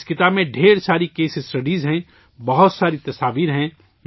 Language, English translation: Urdu, There are many case studies in this book, there are many pictures